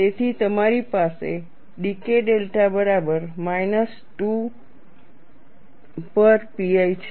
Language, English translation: Gujarati, So, you have dK delta equal to minus 2 by pi